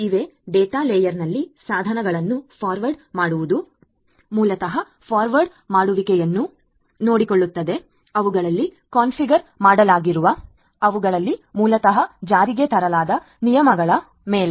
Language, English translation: Kannada, There are forwarding devices in the data layer which basically takes care of mere forwarding based on the rules that are basically implemented in them that are configured in them